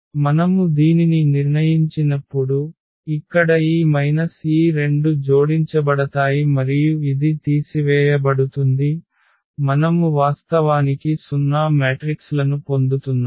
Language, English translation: Telugu, So, when we when we determine this one so, here this minus so, these two will be added and that this will be subtracted; we are getting actually 0 matrix